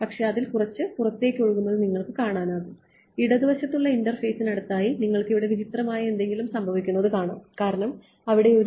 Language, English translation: Malayalam, But you can see its leaking out, next to the left hand side interface you can see there is something strange happening over here that is because there is a